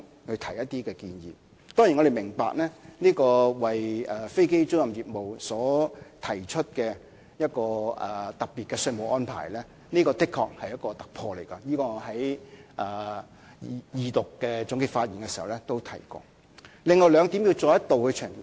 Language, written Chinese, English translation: Cantonese, 我們當然明白，為飛機租賃業務所提出的特別稅務安排確是一項突破，我在二讀的總結發言時已提過這一點。, We surely understand that the special taxation arrangement for aircraft leasing business is indeed a breakthrough and this has been mentioned in my concluding speech in the Second Reading of the Bill